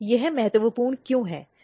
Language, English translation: Hindi, This is important why